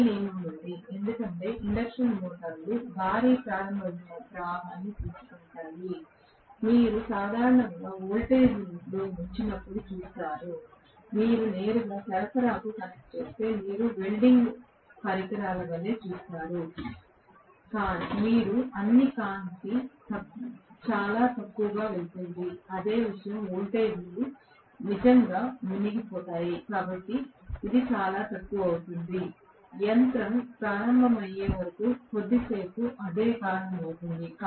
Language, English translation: Telugu, This rule is there because the induction motors take heavy starting current, you will see at dip in the voltage normally, you will see like a welding equipment if you connect directly to the supply you will see all the light going very low, the same thing you can observe if you are starting a very large capacity induction motors because the voltages will really sink, it will become very low normally, for a short while until the machine get started that is the reason